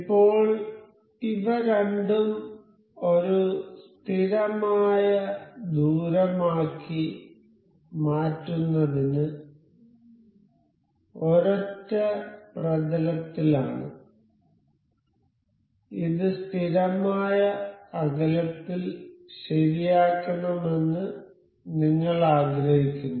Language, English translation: Malayalam, So, now, both of these are in single plane to make it as a constant distance, we want this to be fixed at a constant distance